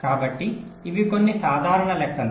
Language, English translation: Telugu, so these are some simple calculations